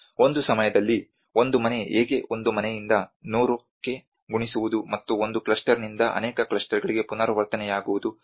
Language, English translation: Kannada, How one household at a time the multiplication from one household to a 100 and the replication from one cluster to many clusters